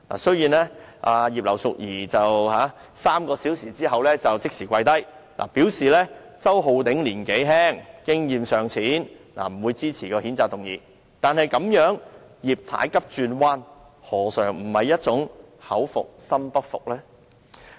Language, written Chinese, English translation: Cantonese, 雖然葉劉淑儀議員在3小時後立即"跪低"，表示周議員年紀輕經驗尚淺，所以不會支持譴責議案，但這種"葉太急轉彎"，何嘗不是一種口服心不服的表現？, Although Mrs IP backed down just three hours later saying that she would not support the censure motion because Mr Holden CHOW was young and inexperienced it is clear from her sudden U - turn that she might not be genuinely convinced deep in her heart